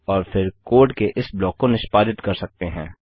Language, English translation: Hindi, Then we will execute this block of code